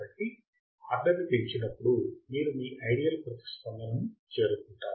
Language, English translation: Telugu, So, as you increase the order you reach your ideal response correct